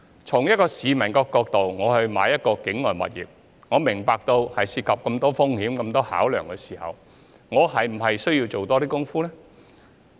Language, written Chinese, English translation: Cantonese, 從市民購買境外物業的角度而言，如果明白到當中涉及很多風險和考量，那麼是否應該多做一些工夫呢？, From the angle of members of the public purchasing overseas properties if they understood that many risks and considerations are involved in the process should they not put in more efforts?